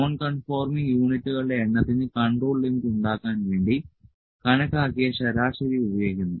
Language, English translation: Malayalam, Then the estimated average is then used to produce control limit for the number of non conforming units